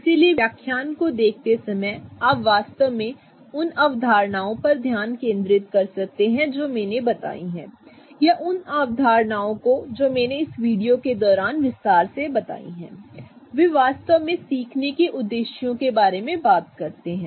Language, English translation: Hindi, So, while looking at the lectures you can really focus on the concepts that I have said or the concepts that I have elaborated during this video which really talks about the learning objectives